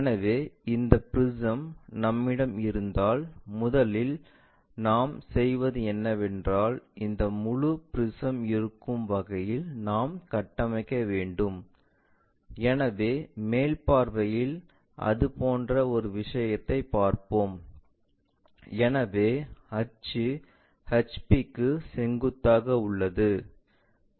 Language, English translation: Tamil, So, it is more like if we have this if we have this prism first what we will do is we construct in such a way that this entire prism, so in the top view we will see something like such kind of thing, so where axis is perpendicular to HP